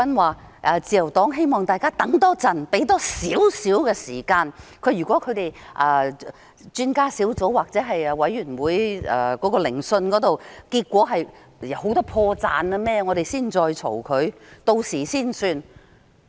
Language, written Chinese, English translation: Cantonese, 他說自由黨希望大家多等一會，給予多一點時間，如果專家顧問團或調查委員會的調查結果發現很多破綻，大家才作批評，屆時才算。, Besides the Liberal Party hopes that we wait a little bit longer and allow some more time . If the findings of the Expert Adviser Team or the Commission of Inquiry reveal many telltale signs at that time we can make criticisms and decide what to do